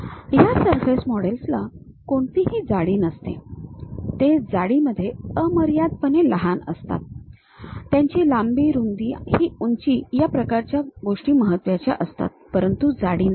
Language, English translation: Marathi, For and these surface models they do not have any thickness, they are infinitesimally small in thickness, their length, breadth, this height, this kind of things matters, but not the thickness